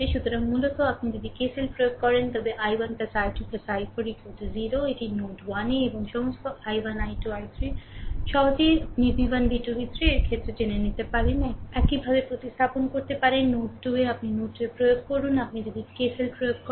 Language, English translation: Bengali, So, basically if you apply the KCL then i 1 plus i 2 plus i 4 is equal to 0, this is at node 1 and all i 1, i 2, i 3, easily, you can know in terms of v 1, v 2, v 3, you can substitute, similarly, at node 2, if you apply node 2, if you apply KCL